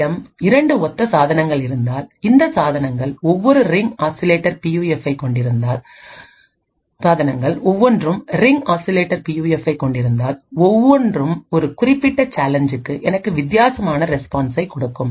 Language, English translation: Tamil, If I have two exactly identical devices, each of these devices having a Ring Oscillator PUF, each would give me a different response for a particular challenge